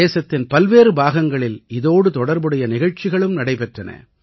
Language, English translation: Tamil, Across different regions of the country, programmes related to that were held